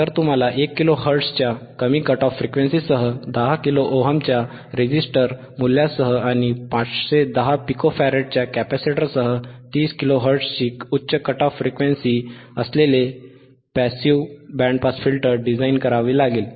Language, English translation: Marathi, Ppassive band pass filter with the low cut off frequency of 1 kilohertz with a resistor value of 10 kilo ohm, and high cut off frequency of 30 kilo hertz with a capacitor of 510 pico farad,